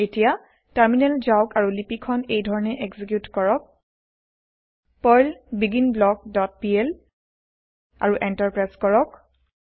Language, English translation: Assamese, Then switch to terminal and execute the script by typing, perl beginBlock dot pl and press Enter